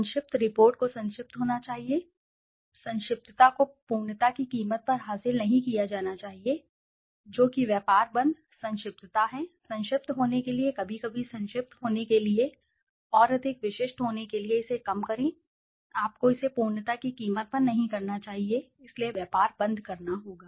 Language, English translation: Hindi, Terse, the report should be terse and concise that means it should be brief, brevity should not be achieved at the expense of completeness, that is the trade off, brevity, to be brief, to be concise sometimes in order to be more specific to narrow it down you should not doing it at the expense of completeness, so there has to be a trade off